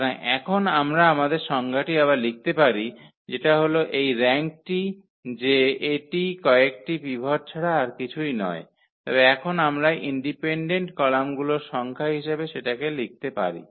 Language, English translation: Bengali, So, now we can rewrite our definition which says for this rank that this is nothing but a number of pivots, but now we can write down as the number of independent columns